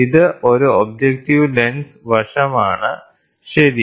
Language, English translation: Malayalam, So, this is objective lens side, objective lens side, ok